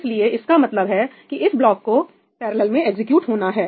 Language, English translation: Hindi, So, that just says that this block is supposed to be executed in parallel